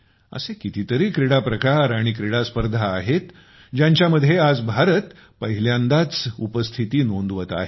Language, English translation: Marathi, There are many such sports and competitions, where today, for the first time, India is making her presence felt